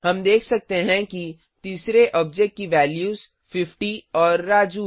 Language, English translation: Hindi, We can see that the third object contains the values 50 and Raju